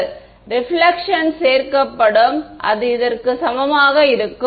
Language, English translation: Tamil, The reflection will get added and it will be equal to this